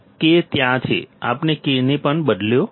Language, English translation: Gujarati, K is there so; we have substituted K also